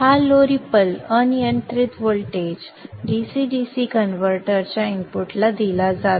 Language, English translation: Marathi, This low ripple unregulated voltage is fed to the input of the DC DC converter